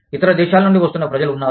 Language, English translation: Telugu, There are people, who are coming from, other countries